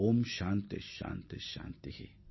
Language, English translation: Tamil, Om Shanti Shanti Shanti